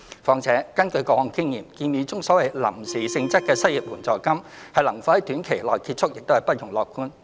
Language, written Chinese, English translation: Cantonese, 況且，根據過往經驗，建議中所謂"臨時"性質的失業援助金，能否於短時間內結束亦是不容樂觀。, Moreover according to past experience we should not be optimistic that the proposed so - called temporary unemployment assistance could complete within a short time